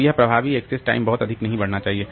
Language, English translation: Hindi, So, this, the effective access time should not increase very much